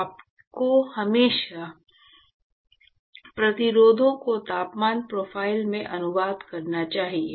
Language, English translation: Hindi, So, you should always translate resistances to the temperature profile